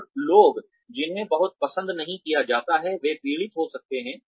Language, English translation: Hindi, And people, who are not very well liked, may suffer